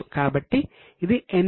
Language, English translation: Telugu, So it is NCA